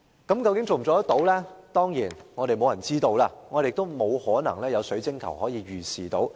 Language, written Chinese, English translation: Cantonese, 當然，沒有人知道我們可否做到，亦沒法可從水晶球預視得到。, Certainly no one knows whether we can really make this happen nor is there a crystal ball to help predict if this will happen